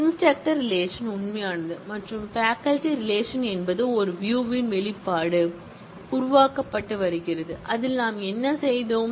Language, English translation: Tamil, Instructor relation is the real one, I existing one and faculty is a view expression being created and in that, what we have done